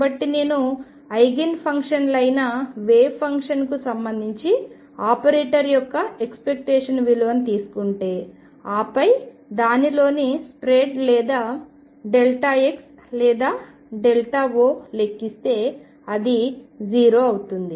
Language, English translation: Telugu, So, if I take the expectation value of an operator, with respect to the wave function that are Eigen functions, and then calculate the spread in it or delta x or delta O in it comes out to be 0